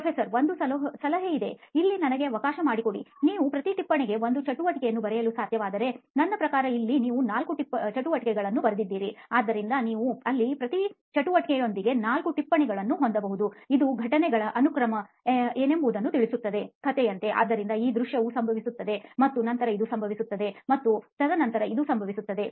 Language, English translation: Kannada, One tip, let me but in here; One tip I can offer here is that if you can write down one activity per note, that; I mean here you have written down four activities, so you can have four notes with each activity there; It sort of lays out what the sequence of events is, ok like a story, so this scene happens then this happens then this happen